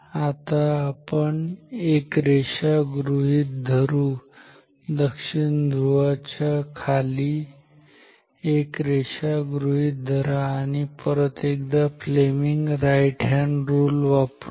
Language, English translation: Marathi, Now let us see a line consider a line here under the south pole and apply the right hand rule again